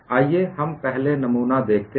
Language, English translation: Hindi, Now, let us look at the second specimen